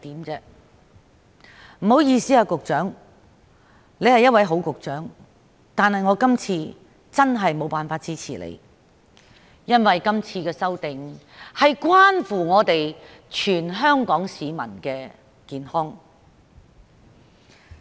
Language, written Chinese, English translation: Cantonese, 局長，不好意思，雖然你是一位好局長，但我今次確實無法支持你，因為今次的修訂關乎全港市民的健康。, Sorry Secretary . You are a good Secretary but this time I really cannot support you because the current amendments concern the health of all Hong Kong people